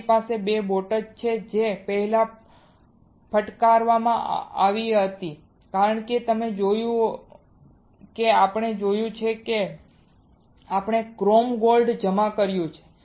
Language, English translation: Gujarati, I have 2 boats which brought to hit first because you see we have seen that we have deposited chrome gold